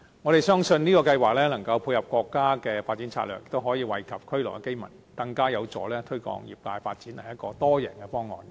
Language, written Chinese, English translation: Cantonese, 我們相信這項計劃能夠配合國家的發展策略，亦能惠及區內的居民，更有助推動業界的發展，是多贏的方案。, We believe that this is a win - win scheme which can tie in with the development strategy of the country benefit residents in the area and help promote the development of the sector